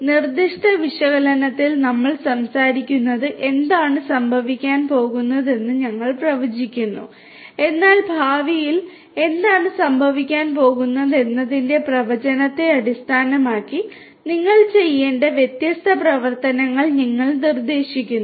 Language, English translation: Malayalam, In prescriptive analytics we are talking about that we predict that what is going to happen, but then based on that prediction of what is going to happen in the future, you prescribe the different you prescribe the different actions that needs to be taken